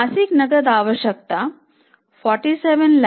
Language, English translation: Hindi, Means monthly requirement of cash is 47,000